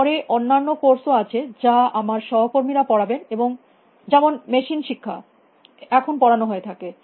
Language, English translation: Bengali, Then there are other courses which my colleagues teach machine learning which is being offered now